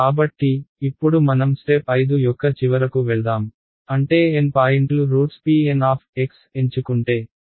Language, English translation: Telugu, So, now let us play the final card of tricks which is step 5, is that if the N points are chosen to be the roots of p N x ok